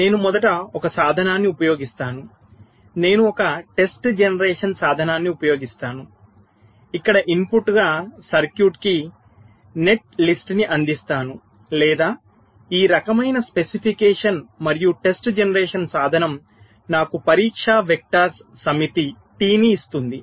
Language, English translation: Telugu, first, i use a test generation tool where, just as the input i shall be providing with this circuit net list, let say, or this, some kind of specification, as i test generation tool will give me a set of test directors, t